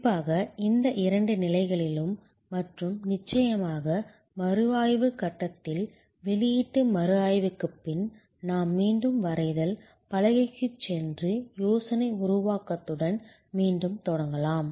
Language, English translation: Tamil, Particularly, in these two stages and of course, at the review stage, post launch review stage, where we can go back to the drawing board and start again with idea generation